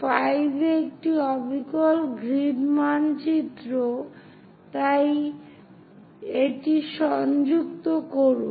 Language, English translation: Bengali, At 5, this is precisely on the grid map, so connect that